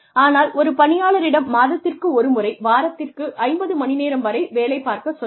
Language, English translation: Tamil, But, asking the employee to work, say, maybe up to 50 hours a week, say, may be once a month